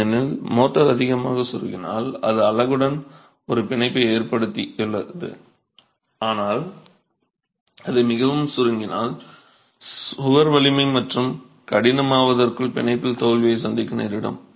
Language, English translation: Tamil, because if motor shrinks too much it's established a bond with the unit but if it shrinks too much you can have failure at the bond by the time the wall gains strength and hardens